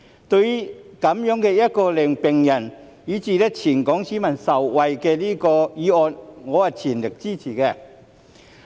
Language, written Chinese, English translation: Cantonese, 對於這項令病人以至全港市民受惠的議案，我是全力支持的。, I fully support this motion which will benefit patients and the people in Hong Kong at large . Facts speak louder than words